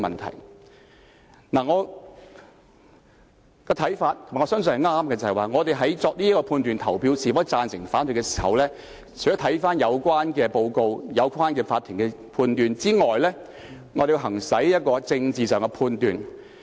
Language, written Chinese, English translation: Cantonese, 就我個人的看法——我也相信我的看法正確——議員在決定贊成或反對的時候，除了要審視有關報告和法庭判決外，還要作出政治判斷。, From my personal point of view which I believe is correct in deciding to vote for or against the motion Members should make a political judgment in addition to studying the relevant report and the Courts judgment